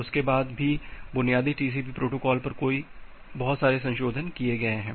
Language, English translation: Hindi, Even after that there are multiple amendment over the basic TCP protocol